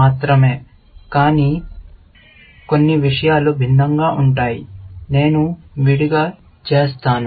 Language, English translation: Telugu, Only, some things are different, which I do separately, essentially